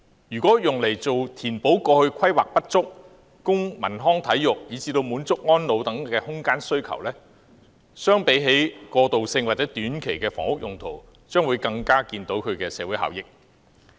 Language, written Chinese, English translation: Cantonese, 如用作填補過去規劃不足，供文康體育，以至滿足安老等空間需求，相比起過渡性或短期的房屋用途，其社會效益將更明顯。, As compared to the purposes of transitional or short - term housing more significant social benefits can be derived from using vacant school premises for meeting the spatial demand in terms of arts recreation and sports and elderly services with a view to complementing inadequacies in past planning